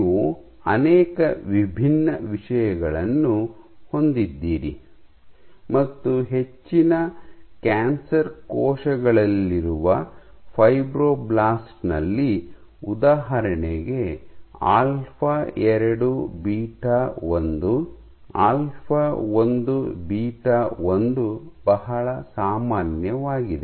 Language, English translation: Kannada, So, you have multiple different things for example, in fibroblast in most cancer cells alpha 2 beta 1, alpha 1 beta 1 are very common